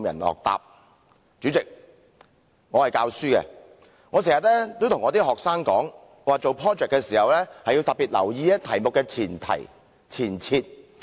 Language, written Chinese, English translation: Cantonese, 代理主席，我是教書的，我經常對學生說，做 project 時要特別留意題目的前提、前設。, Deputy President I am a teacher and I often remind my students that they need to pay special attention to the preamble or presupposition of a question when they do projects